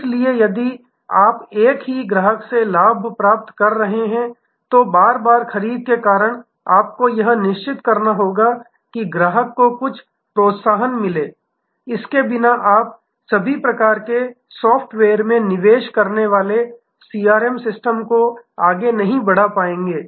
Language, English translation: Hindi, So, if you are gaining from the same customer, because of is repeat purchase you must ensure, that the customer get some incentive without that you will not be able to proceed or executive CRM system whatever you may be are investment in all kinds of software it will be of no use